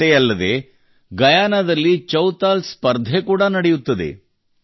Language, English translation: Kannada, Not only this, Chautal Competitions are also held in Guyana